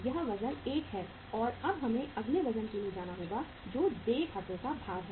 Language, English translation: Hindi, And now we have to go for the next weight that is the weight of accounts payable